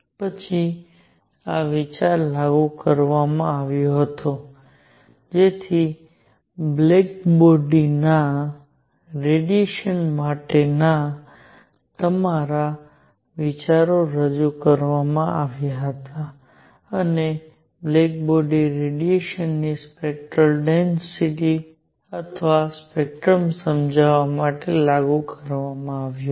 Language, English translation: Gujarati, Then this idea was applied idea was applied to explain the spectral density or spectrum of black body radiation